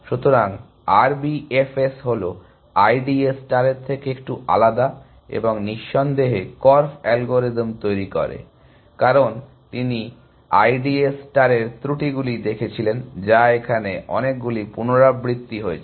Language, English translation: Bengali, So, R B F S is a little different from I D A star and no doubt korf devises algorithm, because he saw the drawbacks of I D A star, which is that, it was doing too many iterations